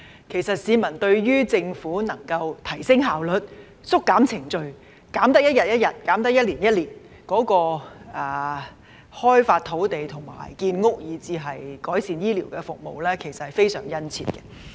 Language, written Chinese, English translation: Cantonese, 其實市民對於政府能夠提升效率、縮減程序——能縮減一天便一天，能縮減一年便一年——開發土地、建屋，以至改善醫療服務的期望均非常殷切。, In fact the public have very keen expectations that the Government will enhance efficiency compress procedures―one day compressed is one day fewer and one year compressed is one year fewer―develop land and build housing as well as improving healthcare services